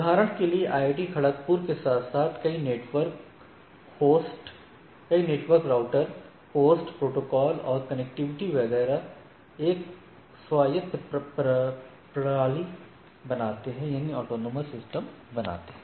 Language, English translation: Hindi, Like IIT Kharagpur along with several networks, routers, hosts, protocols running, connectivity defined etcetera for can form a autonomous system